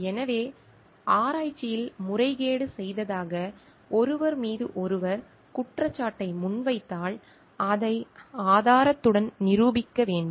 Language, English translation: Tamil, So, if somebody is bringing allegation against a person telling that he or she has done a research misconduct, then it must be proven with evidence